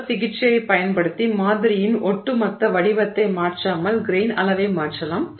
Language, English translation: Tamil, Using heat treatment you can change the grain size without changing the overall shape of the sample